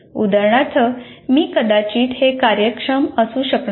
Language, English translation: Marathi, For example, I may not be able to make it efficient